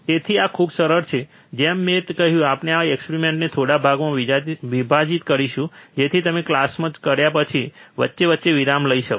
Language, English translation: Gujarati, So, this is very easy so, like I said, we will break this experiment into few parts so, that you can take a break in between after you have the class